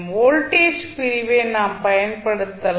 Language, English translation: Tamil, We can use by simply voltage division